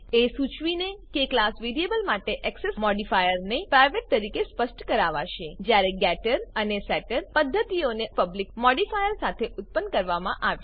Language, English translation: Gujarati, The modifier for the class variable is set to private whereas the getter and setter methods are generated with public modifier